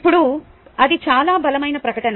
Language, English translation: Telugu, now that is a rather strong statement